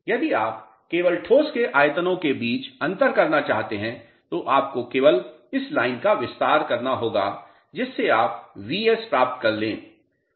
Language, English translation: Hindi, If you want to differentiate between the volume of solids only you have to extend this line to get Vs